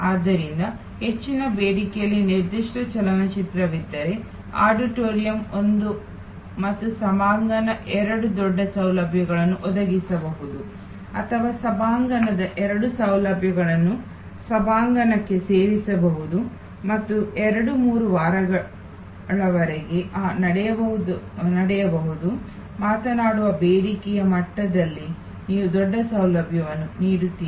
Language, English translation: Kannada, So, if there is a particular movie in very high demand then auditorium one and auditorium two maybe combined offering a bigger facility or maybe part of the auditorium two facility can be added to the auditorium one and for 2, 3 weeks when that move will be at speak demand level, you are offering a bigger facility